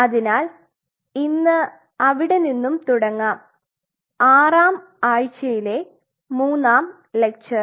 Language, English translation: Malayalam, So, let us pick it up from there, week 6 a lecture 3